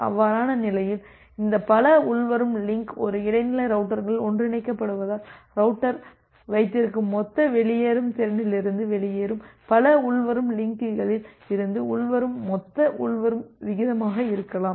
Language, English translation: Tamil, In that case because this multiple incoming link are getting converged in a intermediate router, it may happen that the total incoming rate which is being there from multiple others incoming links that is exiting the total out going capacity that the router has